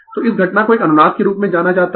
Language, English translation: Hindi, So, this phenomena is known as a resonance